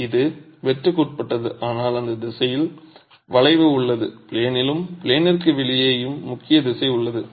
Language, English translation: Tamil, It's subjected to shear but there is bending in that direction, predominant direction in plane and out of plane